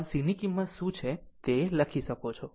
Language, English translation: Gujarati, So, you can kind out what is the value of C right